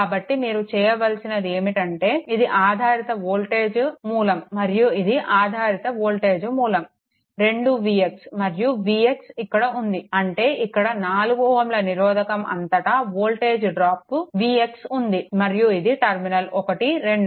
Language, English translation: Telugu, So, what you have to do is, this this is a dependent voltage source and this is a dependent voltage source this is V x and V x is here V x is here across voltage drop across 4 ohm resistance right and this is a terminal 1 2